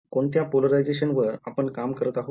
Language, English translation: Marathi, What polarization am I working with